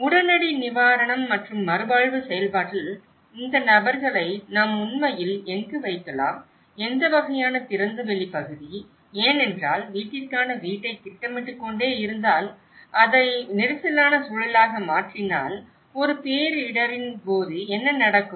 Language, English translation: Tamil, In the immediate relief and rehabilitation process, where can we actually put these people, what kind of open area because if you keep planning house for house, house for house and then if you make it as the congested environment, so what happens during a disaster